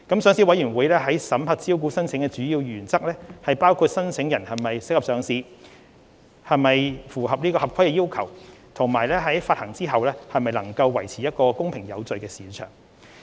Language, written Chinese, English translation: Cantonese, 上市委員會審核招股申請的主要原則，包括考慮申請人是否適合上市、是否符合合規要求，以及在股份發行後能否維持公平有序的市場。, The major principles adopted by the Listing Committee in approving listing applications include considering whether applicants are suitable for listing whether they comply with the regulatory requirements and whether they can maintain a fair and orderly market after share issuance